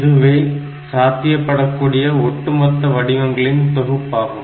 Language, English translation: Tamil, So, this is that the complete set of patterns that are possible